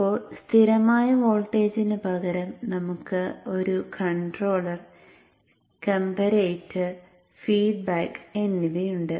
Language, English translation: Malayalam, Now instead of the constant voltage we are now having a controller, a comparator and the feedback